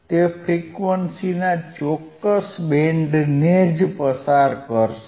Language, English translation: Gujarati, So, iIt will only pass certain band of frequency